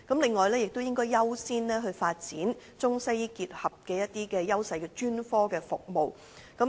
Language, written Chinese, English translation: Cantonese, 此外，亦應優先發展結合中西醫優勢的專科服務。, It should also give priority to the development of ICWM specialist services